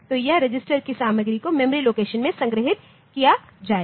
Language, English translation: Hindi, So, content of that register will be stored in the memory location